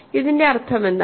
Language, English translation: Malayalam, What this means